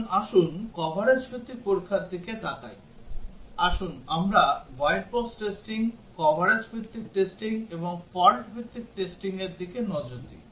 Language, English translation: Bengali, Now, let us look at the coverage based testing, let us look further into the white box testing, the coverage based testing and the fault based testing